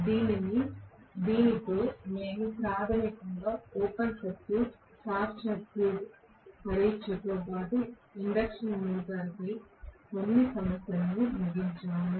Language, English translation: Telugu, So, with this we have concluded basically open circuit short circuit test as well as couple of problems on induction motor, okay